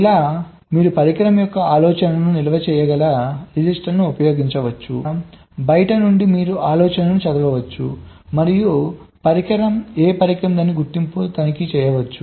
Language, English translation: Telugu, like you can use a register very stored, the idea of a device, so that from outside you can read out the idea and check the identity of the device, which device it is ok